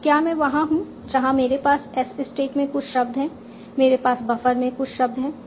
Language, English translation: Hindi, Now I'm at a point where I have some words in the stack, I have some words in the buffer